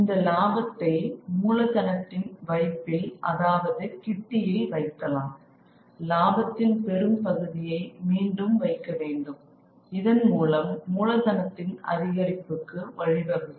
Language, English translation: Tamil, This profit can be regurgitated and put back into the kitty of capital and a large part of the profit could be put back and leads to an increase in capital